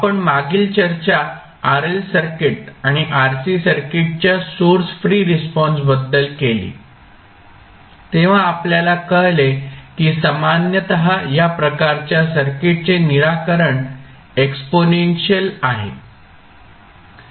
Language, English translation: Marathi, Now, if you see that the previous discussion what we did when we discussed about the source free response of rl circuit and rc circuit we came to know that typically the solution of these kind of circuits is exponential